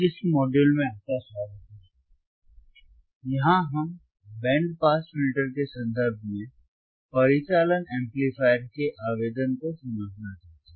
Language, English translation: Hindi, Here, we want to understand the application of the operational amplifier in terms of band pass filters